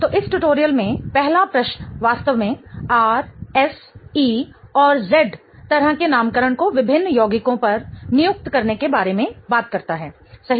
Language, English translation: Hindi, So, in this tutorial, the first question really talks about assigning R, S, E and Z kind of nomenclatures to various compounds